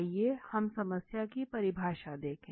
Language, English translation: Hindi, Now this is entire problem definition process